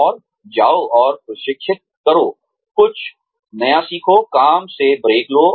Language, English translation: Hindi, And, go and train, learn something new, take a break from work